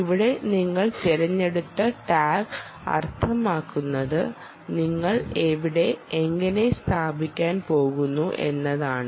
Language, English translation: Malayalam, here the type of tag you choose means: where are you going to fix it